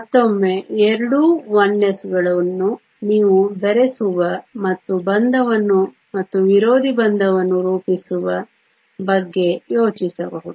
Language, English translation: Kannada, Once again both the 1 s you can think of mixing and forming a bonding and an anti bonding